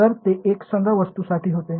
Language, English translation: Marathi, So, they were for homogeneous objects